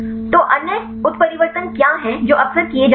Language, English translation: Hindi, So, what are the other mutations which are frequently done